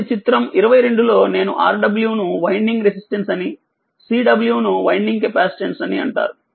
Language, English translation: Telugu, So, in figure 22 that that I told you Rw is called winding resistance and capacitance Cw is called the winding capacitance right